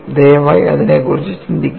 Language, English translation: Malayalam, Please think about it